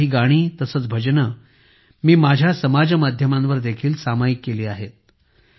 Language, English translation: Marathi, I have also shared some songs and bhajans on my social media